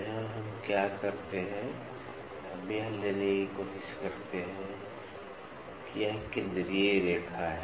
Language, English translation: Hindi, So, here what we do is, we try to take this is the central line